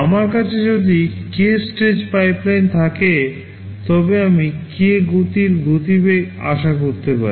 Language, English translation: Bengali, If I have a k stage pipeline, I can expect to have k times speedup